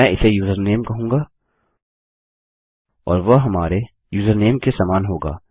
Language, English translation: Hindi, Ill call it username and that will be equal to our username